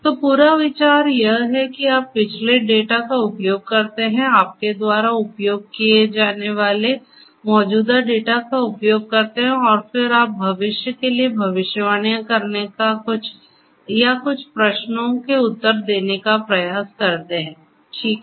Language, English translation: Hindi, So, the whole idea is that you use the past data, existing data you use and then you try to make predictions or answer certain questions for the future, right